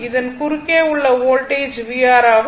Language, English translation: Tamil, And this is your v R voltage across R